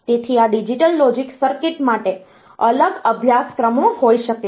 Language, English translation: Gujarati, So, there can be, so this digital logic circuit, there are separate courses for this